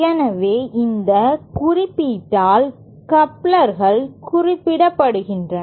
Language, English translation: Tamil, So, couplers are represented by this symbol